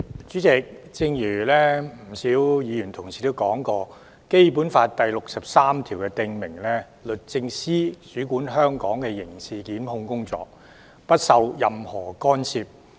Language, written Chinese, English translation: Cantonese, 主席，正如不少議員指出，《基本法》第六十三條訂明，律政司主管香港的刑事檢控工作，不受任何干涉。, President as pointed out by many Members Article 63 of the Basic Law prescribes that the Department of Justice DoJ of Hong Kong shall control criminal prosecutions free from any interference